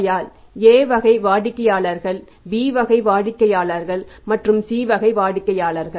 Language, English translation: Tamil, That is a category A customers, B category customers and the C category customers right